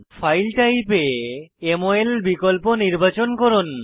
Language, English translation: Bengali, Click on Files of Type and select MOL option